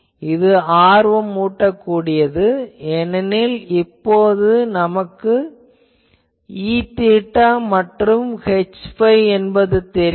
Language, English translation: Tamil, That is an interesting thing because now we know the fields, E theta and H phi